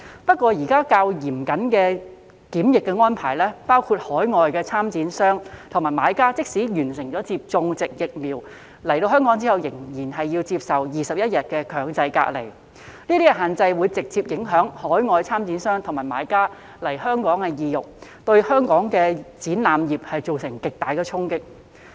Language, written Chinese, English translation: Cantonese, 不過，現時較嚴謹的檢疫安排，包括海外參展商和買家即使已完成接種疫苗，抵港後仍要接受21天強制隔離，這些限制會直接影響海外參展商和買家來港的意欲，對本港的展覽業造成極大衝擊。, However given the rather stringent quarantine arrangements being adopted now including the 21 - day mandatory quarantine requirement for overseas exhibiting companies and buyers upon their arrival in Hong Kong even though they have been vaccinated these restrictions will have a direct impact on the incentive of overseas exhibiting companies and buyers to come to Hong Kong and will hence deal a severe blow to the local exhibition industry